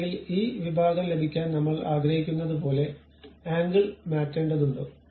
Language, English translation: Malayalam, Or do I have to change the angle something like I would like to have this section